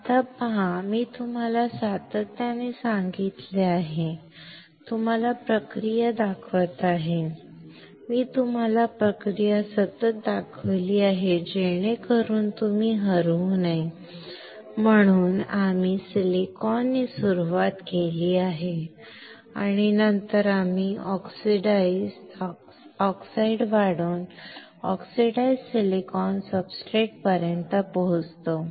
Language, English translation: Marathi, Now see I have continuously told you from; showing you the process I have continuously shown you the process so that you do not get lost we have started with silicon and then we reach to oxidized silicon substrate which is by growing the oxide